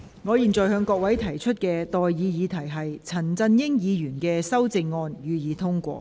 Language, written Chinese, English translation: Cantonese, 我現在向各位提出的待議議題是：陳振英議員動議的修正案，予以通過。, I now propose the question to you and that is That the amendment moved by Mr CHAN Chun - ying be passed